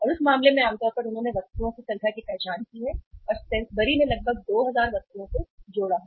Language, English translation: Hindi, And in that case normally they have identified number of items and Sainsbury has connected uh around 2000 items